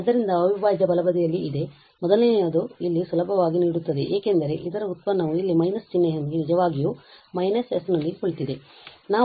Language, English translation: Kannada, So, that is the integral of sitting here right hand side the first readily will give here because the derivative of this is sitting here with minus sign indeed so minus s